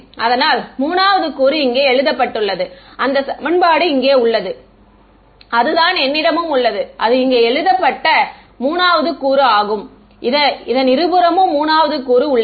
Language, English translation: Tamil, So, the 3rd component is being written over here this equation over here right that is what I have written over here this is the 3rd component which is on both side we have the 3rd component ok